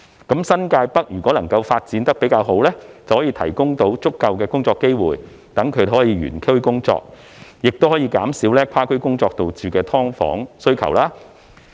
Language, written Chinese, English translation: Cantonese, 如果新界北發展得好，便可提供足夠工作機會，讓居民可以原區工作，減少跨區工作所導致的"劏房"需求。, If the development of the New Territories North goes well there will be sufficient job opportunities for residents to work in the same district thus reducing the SDU demand arising from the need to work in other districts